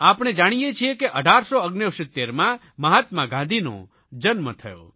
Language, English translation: Gujarati, We know that Mahatma Gandhi was born in 1869